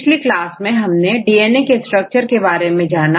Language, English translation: Hindi, So, in the last class we discussed mainly about the DNA